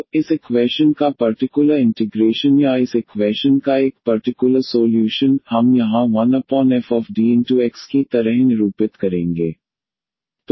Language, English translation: Hindi, So, the particular integral of this equation or a particular solution of this equation, we will denote here like 1 over f D and operated on X